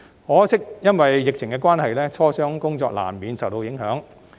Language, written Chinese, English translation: Cantonese, 可惜，由於疫情關係，磋商工作難免受到影響。, Regrettably owing to the pandemic negotiations were inevitably affected